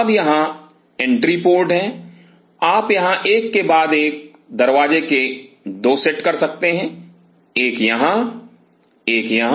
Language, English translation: Hindi, Now here are the entry port you could have 2 sets of doors one here one here